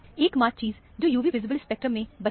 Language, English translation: Hindi, The only thing that is remaining is the UV visible spectrum